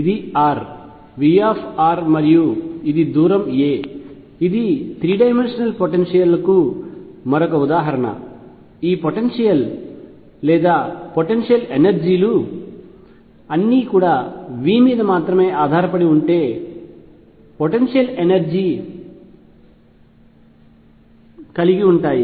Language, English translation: Telugu, This is r, V r and this is a distance a this is another example of a 3 dimensional potentials all these potentials or potential energies have V the potential energy that depends only on r